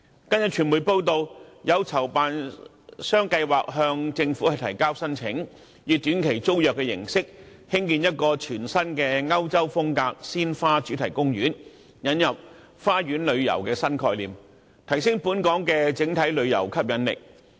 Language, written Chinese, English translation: Cantonese, 近日傳媒報道，有籌辦商計劃向政府提交申請，以短期租約形式，興建一個全新的歐洲風格鮮花主題公園，引入花園旅遊的新概念，提升本港整體的旅遊吸引力。, As recently reported in the media an organizer plans to apply to the Government for a short - term tenancy to build a European design flower - themed garden which is new to Hong Kong . With the introduction of this new concept of garden tourism Hong Kongs overall attractiveness to tourists will be enhanced